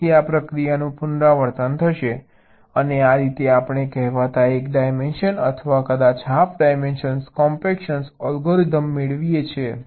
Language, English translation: Gujarati, so this process will be repeated and this is how we get the so called one dimension, or maybe one and a half dimensional, compaction algorithm